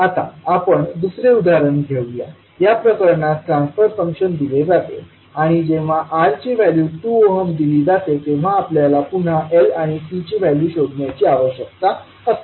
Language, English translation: Marathi, Now let us take another example, in this case we transfer function is given and we need to find out the value of L and C again when the value of R is given that is 2 ohm